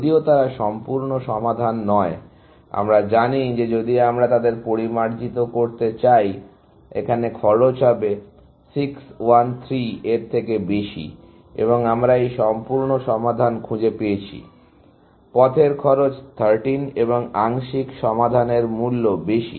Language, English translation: Bengali, Even though, they are not complete solutions, we know that if we are to refine them, there cost would be more than 613 here, and we have found this complete solution of paths cost 13 and the partial solution are of higher cost